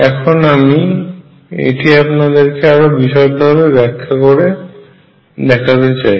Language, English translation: Bengali, Let me do this explicitly and show it to you